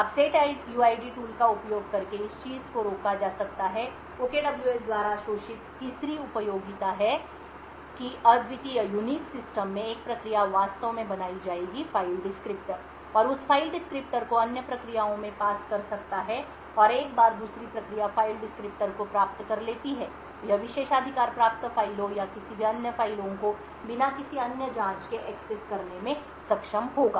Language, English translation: Hindi, Now using the setuid tool this thing can be prevented, the third utility which is exploited by OKWS is that in unique systems one process would actually create the file descriptors and could pass that file descriptors to other processes and once the second process obtains the file descriptors it would be able to access privileged files or any other files as required without any other checks